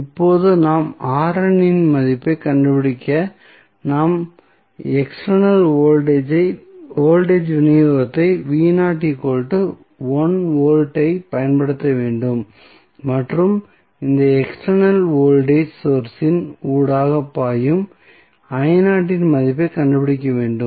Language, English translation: Tamil, Now, to find out the value of R n what we have to do, we have to apply external voltage supply V naught that is equal to 1 volt and find out the value of I naught which is flowing through this external voltage source